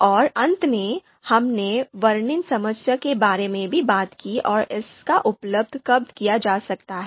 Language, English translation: Hindi, We also talked about the description problem and you know when it could be used